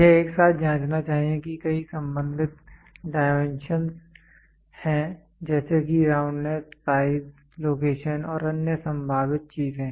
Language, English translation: Hindi, It should also simultaneously check has many related dimensions such as roundness, size, location and other possible things